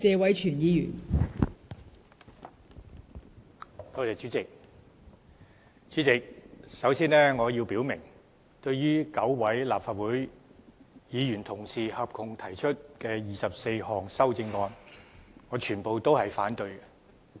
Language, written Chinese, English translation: Cantonese, 代理主席，首先我要表明，對於9位立法會議員合共提出的24項修正案，我全部也會反對。, First of all Deputy Chairman I have to make it clear that I will vote against all the 24 amendments proposed by 9 Legislative Council Members